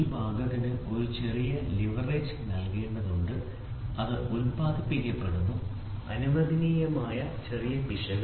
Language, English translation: Malayalam, So, then there has to be a small leverage given to the part, which is produced, small amount of error which is allowed